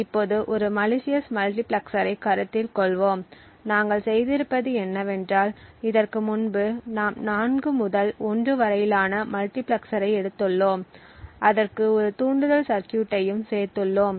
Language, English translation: Tamil, So now let us consider a malicious multiplexer, so what we have done is that we have taken our 4 to 1 multiplexer before and we added a trigger circuit to it